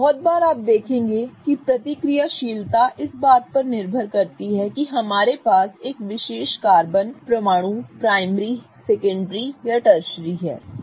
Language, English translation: Hindi, Very often you will see that reactivity depends on whether a particular atom in our case carbon is primary, secondary or tertiary